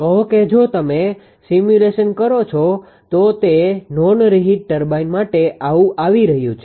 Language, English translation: Gujarati, Say if you do the simulation it will be coming like this is for non reheat turbine